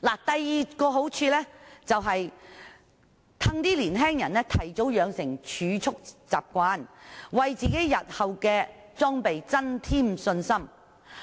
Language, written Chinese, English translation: Cantonese, 第二個好處是令年青人提早養成儲蓄習慣，為日後裝備增添信心。, The second benefit is that young people will develop the habit of keeping savings earlier so that they will have more confidence in equipping themselves in future